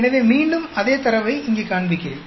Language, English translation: Tamil, So, again I am showing the same data here